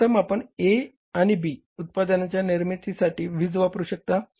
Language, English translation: Marathi, So, first you would like to use that power for manufacturing A and B products